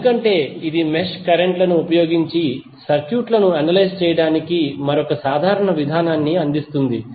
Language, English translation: Telugu, Because it provides another general procedure for analysing the circuits, using mesh currents